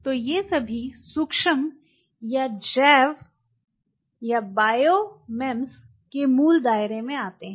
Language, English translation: Hindi, So, these all fall under the basic purview of micro or bio MEMS